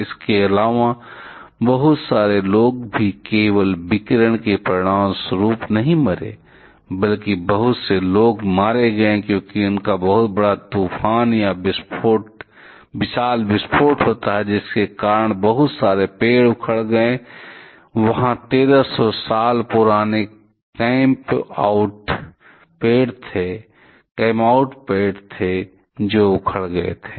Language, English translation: Hindi, Also, lots of people also did not die just a result of the radiation rather lot of people died, because of the huge storm or huge explosion that happens; because of which lots of trees were uprooted, there was the pictures 1300 year old campout tree which was uprooted